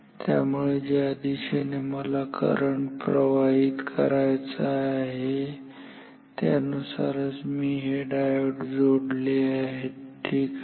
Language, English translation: Marathi, So, I just have followed the direction where in which direction I want the current to flow and I have put these diodes accordingly